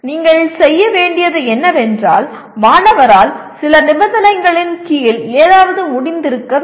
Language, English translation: Tamil, You have to, the student should be able to do something under some conditions